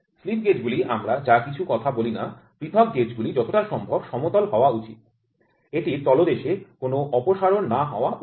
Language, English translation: Bengali, So, the slip gauges whatever we talk about, individual gauges should be as flat as possible it should not have any undulation on surface